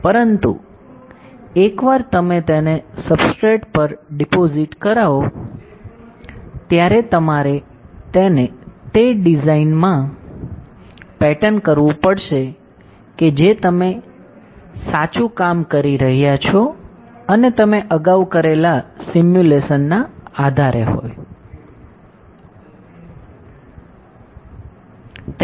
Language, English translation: Gujarati, But once you deposit it on a substrate, you have to pattern it in the designs that you have been working on right and based on the simulation that you have previously done